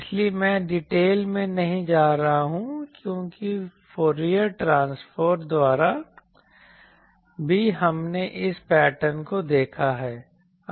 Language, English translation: Hindi, So, I am not gone into details because by the Fourier transform method also we have seen this pattern